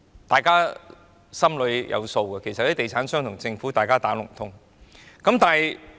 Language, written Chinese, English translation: Cantonese, 大家心裏有數，其實地產商與政府是"打龍通"的。, Members know at heart that the real estate developers and the Government have hidden information exchanges